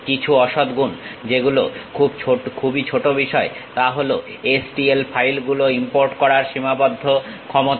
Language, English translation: Bengali, Some of the demerits which are very minor things are a limited ability to import STL files